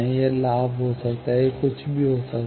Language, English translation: Hindi, It may be gain; it may be anything